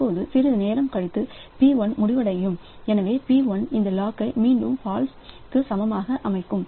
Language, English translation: Tamil, Now, after some time p1 will finish off so p1 will set this log to be equal to false again